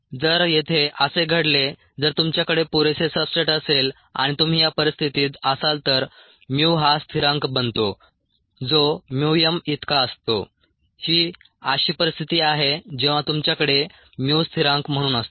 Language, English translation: Marathi, if it happens to be here, if you have enough substrate and you happen to be in this region, then mu becomes a constant, equals mu m